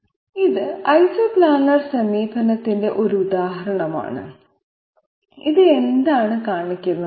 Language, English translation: Malayalam, This is an example of Isoplanar approach, what does it show